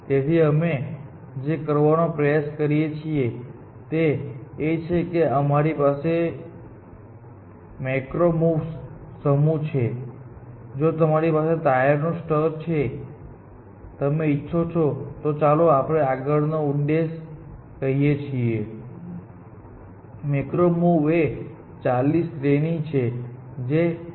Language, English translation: Gujarati, So, what we tend to do is that we have the set of macro moves, which says, if you have done the top layer, then if you want to; let us say the next objective, which is to get; Let us say one cube, let into place in the middle layer; you say do this sequence of moves; left, right, left up down, whatever, we have some notation for that